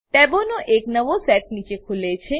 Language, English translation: Gujarati, A new set of tabs open below